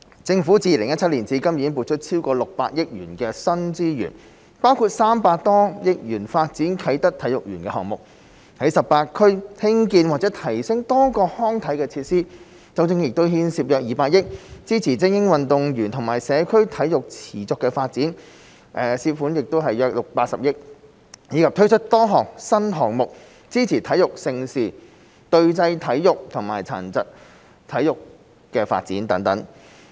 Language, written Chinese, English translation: Cantonese, 政府自2017年至今已撥出超過600億元的新資源，包括300多億元發展啟德體育園項目；在18區興建或提升多個康體設施，當中亦牽涉約200億元；支持精英運動和社區體育的持續發展，涉款約80億元，以及推出多個新項目支持體育盛事、隊際體育和殘疾體育發展等。, The Government has allocated more than 60 billion of new resources since 2017 . Among them over 30 billion are used for the Kai Tak Sports Park project some 20 billion for building or upgrading recreational and sports facilities in the 18 districts and some 8 billion for supporting the sustainable development of elite sports and community sports . A number of new projects have also been launched to support sports events as well as the development of team sports and sports for persons with disabilities